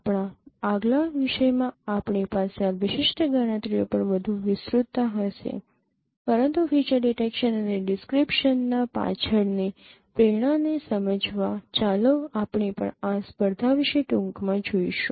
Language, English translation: Gujarati, In our next topic we will have much more elaboration on this particular computations but to understand the motivation behind feature detection and descriptions let us also go through briefly about this computation